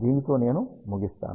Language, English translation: Telugu, With this I conclude